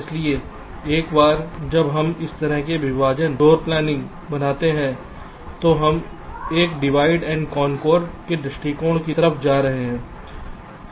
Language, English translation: Hindi, so once we do this kind of partitioning, floor planning, we are going for something like a divide and conquer approach